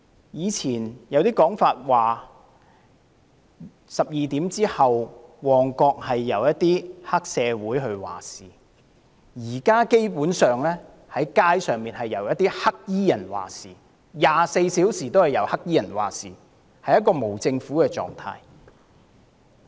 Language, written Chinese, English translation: Cantonese, 以前有說法指旺角在午夜12時後是由黑社會分子掌控一切，現時街上則是24小時均由黑衣人掌控一切，儼如無政府狀態。, It was previously suggested that Mong Kok area was under the total control of triad members after 12 midnight but the streets of Hong Kong have been controlled by black - clad people 24 hours a day like a near anarchic state